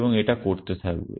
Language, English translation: Bengali, And it will keep doing that